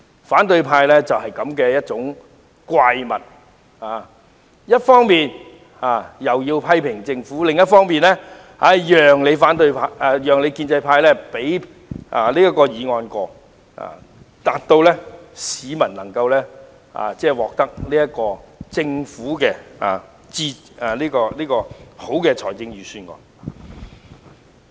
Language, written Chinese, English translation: Cantonese, 反對派就是這樣的一種怪物，他們一方面批評政府，另一方面卻要靠建制派通過議案，讓市民能夠受惠於政府這份理想的預算案。, The opposition camp is such a monstrosity . On the one hand they criticize the Government but on the other hand they have to rely on the pro - establishment camp to pass the motion so that members of the public can benefit from this well - made Budget of the Government